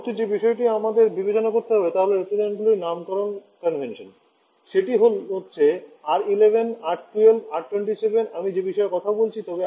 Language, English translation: Bengali, The next thing that we have to Consider is a naming convention of the refrigerants that is R11, R12, R27 I am talking about but today I have ran out of time